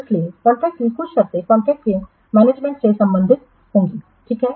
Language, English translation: Hindi, So some terms of the contract will relate to the management of the contract